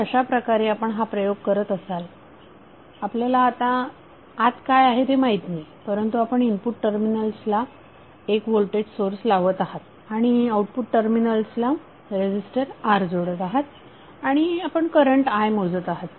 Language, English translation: Marathi, So suppose you are doing on a experiment way you do not know what is inside but you are applying one voltage source across its input terminals and connecting a load R across its output terminal and you are measuring current I